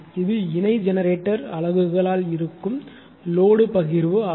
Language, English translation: Tamil, So, that is the load sharing by parallel generating units